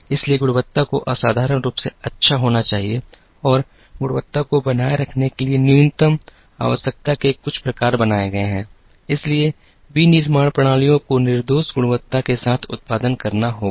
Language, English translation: Hindi, So, the quality has to be exceptionally good and quality has also become some kind of a minimum requirement to sustain, so manufacturing systems have to produce with flawless quality